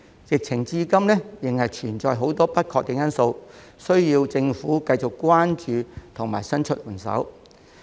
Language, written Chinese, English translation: Cantonese, 疫情至今仍存在很多不確定因素，需要政府繼續關注及伸出援手。, Given that there are still many uncertainties about the epidemic situation the Government needs to continue to keep in view and offer assistance